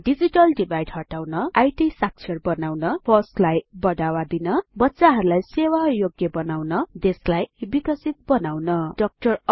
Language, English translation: Nepali, To remove digital divide To make our children IT literate To promote FOSS To make our children employable To make our country a developed one To realise the dream of Dr